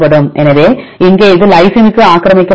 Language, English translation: Tamil, So, here this is occupied to the lysine